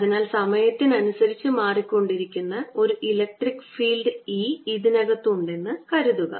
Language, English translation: Malayalam, so let there be an electric field, e, inside which is changing with time